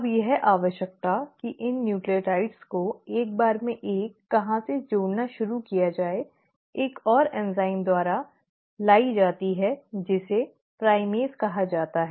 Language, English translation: Hindi, Now this requirement of where to start adding these nucleotides one at a time, is brought about by another enzyme which is called as the primase